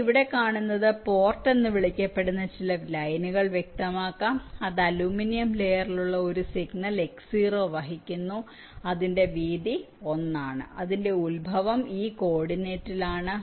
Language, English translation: Malayalam, you see, here you can specify some line called port which is carrying a signal x zero, which is on the aluminium layer, whose width is one whose origin is at this coordinate